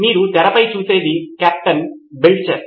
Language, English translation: Telugu, What you see on the screen is Captain Belcher